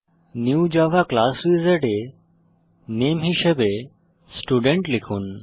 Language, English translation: Bengali, In the New Java Class wizard type the Name as Student